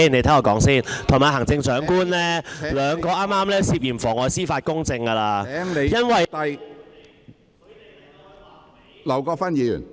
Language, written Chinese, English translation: Cantonese, 他與行政長官兩人剛才已經涉嫌妨礙司法公正，因為......, He and the Chief Executive were suspected of perverting the course of justice just now because